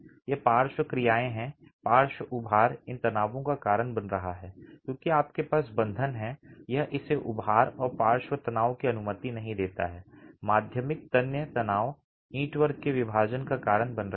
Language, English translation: Hindi, The lateral bulging is causing these stresses because you have the bond, it doesn't allow it to bulge and lateral tension, secondary tensile stresses is causing the splitting of the brickwork